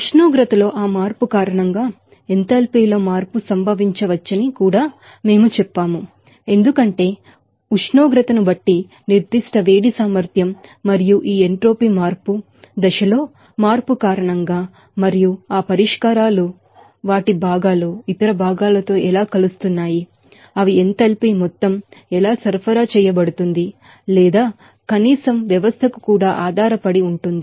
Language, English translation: Telugu, And also we told that the change in enthalpy can occur because of that change in temperature, because, specific heat capacity depending on the temperature and also this entropy change can be resulted because of the change in phase and also how that solutions and their components are mixing with other components also, they are it depends on how what the amount of enthalpy is supplied or at least to the system also, the stage of enthalpy can be happened because of that have reactions to that